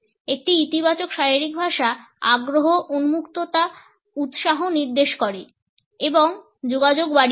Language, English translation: Bengali, A positive body language indicates interest, openness, enthusiasm and enhances the communication also